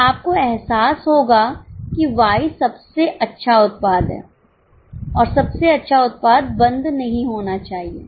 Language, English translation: Hindi, So, you will realize that Y is the best product should not be closed